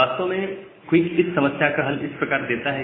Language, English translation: Hindi, Now, QUIC actually solves this problem in this way